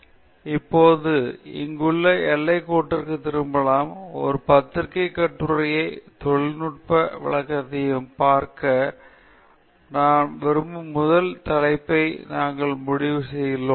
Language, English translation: Tamil, So, we are back to our outline now just to show you that we have completed the first topic that we wanted to look at which is technical presentation versus a journal article